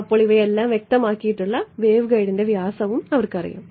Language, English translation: Malayalam, So, they have a you know the width of the waveguide radius all of these have been specified